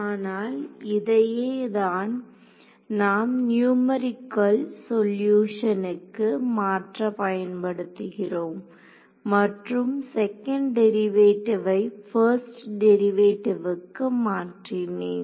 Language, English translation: Tamil, But this is the form that we will use to convert into a numerical solution the once I have transfer the second derivative into a first derivative ok